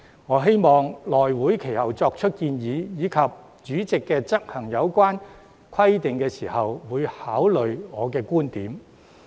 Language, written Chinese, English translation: Cantonese, 我希望內務委員會其後作出建議，以及主席執行有關規定時，會考慮我的觀點。, I hope that when the House Committee makes its recommendations later on and when the President enforces the relevant rules they will take account of my viewpoints